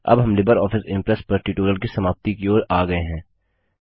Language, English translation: Hindi, Welcome to the tutorial on Introduction to LibreOffice Impress